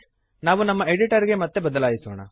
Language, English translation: Kannada, Lets switch back to our editor